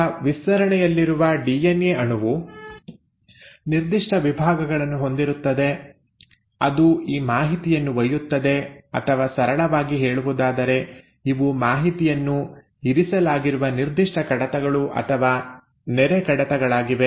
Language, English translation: Kannada, Now the DNA molecule in a stretch will have specific segments which will carry this information or in simple terms these are like specific files or folders in which the information is kept